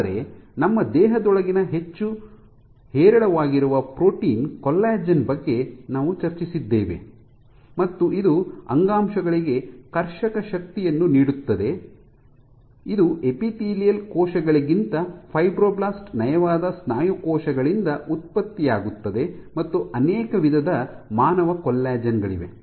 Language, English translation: Kannada, But we discussed about collagen which is the most abundant protein within our body and it provides tensile strength to the tissues, it is again produced by fibroblasts smooth muscle cells than epithelial cells and there are multiple types of human collagen ok